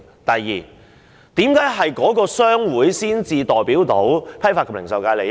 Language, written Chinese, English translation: Cantonese, 第二，為何只有某些商會才能代表批發及零售界的利益？, Second why is it that only certain trade associations are eligible to represent the interest of the Wholesale and Retail FC?